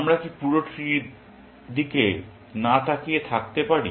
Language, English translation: Bengali, Can we do without looking at the entire tree